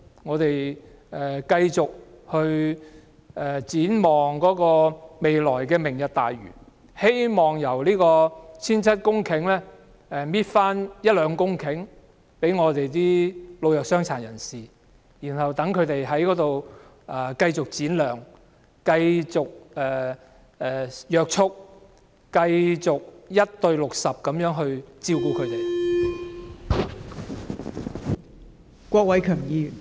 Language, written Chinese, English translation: Cantonese, 我們唯有繼續展望"明日大嶼"，希望在 1,700 公頃的人工島取回一兩公頃土地予本港的老弱傷殘，讓他們在那裏繼續展亮，繼續被約束，繼續以 1：60 的人手照顧他們。, We have no alternative but count on the Lantau Tomorrow Vision hoping that a few hectares of the 1 700 - hectare artificial islands will be reserved for the elderly the vulnerable and the disabled in Hong Kong so that they can continue to shine to be restrained and be taken care of under a 1col60 manpower ratio